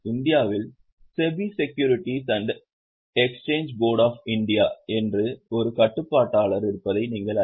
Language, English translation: Tamil, Because regulators, government, in India, you know there is a regulator called SEB, Secureties and Exchange Board of India